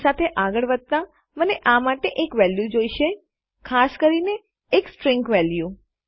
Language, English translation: Gujarati, To proceed with, I need a value for this, particularly a string value